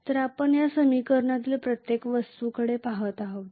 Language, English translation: Marathi, So we are looking at every single thing in this equation